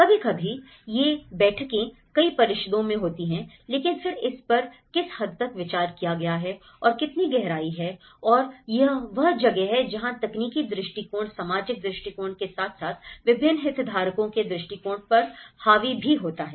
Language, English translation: Hindi, Sometimes, these meetings do held in many councils but then to what extent this has been considered and how depth these are, the bottom up approaches and this is where the technical approaches dominates with the social approaches as well the perspective of different stakeholders